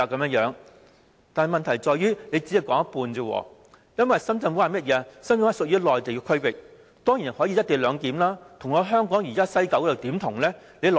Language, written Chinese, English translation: Cantonese, 但是，問題在於政府只說了一半，因為深圳灣屬於內地區域，當然可以實施"一地兩檢"，又怎能跟西九站相提並論？, But this is only half of the truth . The Shenzhen Bay co - location clearance is of course feasible because it is located within the Mainland territorial boundary . But WKS is inside Hong Kong